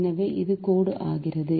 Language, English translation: Tamil, so this is negative